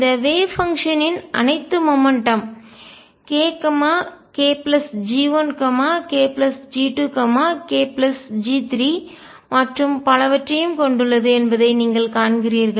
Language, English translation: Tamil, And you see this wave function carries all momenta k, k plus G 1 k plus G 2 k plus G 3 and so on